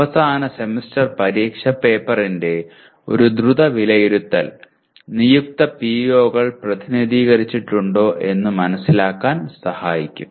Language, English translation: Malayalam, A quick evaluation of the End Semester Exam paper will tell us whether the designated POs are addressed or not